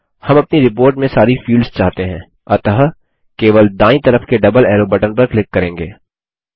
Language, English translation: Hindi, We want all the fields in our report, so well simply click on the double arrow button towards the right